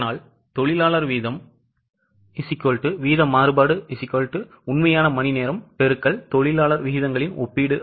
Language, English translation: Tamil, Okay, so labor rate is equal to rate variance is equal to actual hours into comparison of labour rates